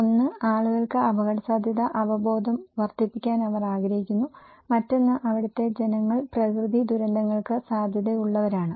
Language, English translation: Malayalam, One, they want to make increase people risk awareness, another one is the people who are at risk of natural disasters